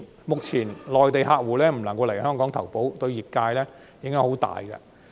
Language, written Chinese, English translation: Cantonese, 目前，內地客戶未能來港投保，對業界有很大影響。, The current fact that Mainland customers are unable to come to Hong Kong to take out insurance has a huge impact on the industry